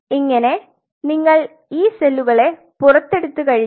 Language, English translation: Malayalam, Once you see these cells out